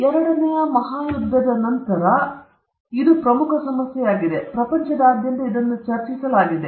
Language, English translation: Kannada, Primarily after the Second World War this has become a major issue; and all over the world this is being discussed